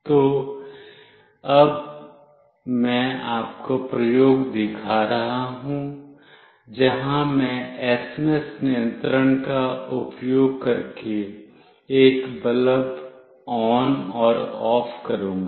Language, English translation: Hindi, So, now I will be showing you the experiments, where I will be switching ON and OFF a bulb using SMS control